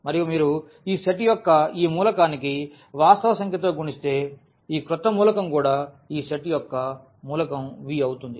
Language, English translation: Telugu, And if you multiply by a real number to this element of this set this new element is also an element of this set V